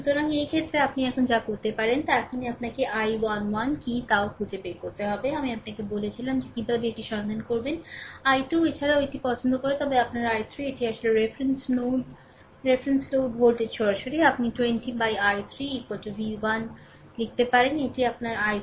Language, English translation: Bengali, So, in this case, what you can do is now next you have to find out what i i 1 also I told you that how to find out out, i 2 also like this, then your i 3, this is this is actually reference load reference load voltage is directly, you can write i 3 is equal to v 1 by 20, right this is your i 3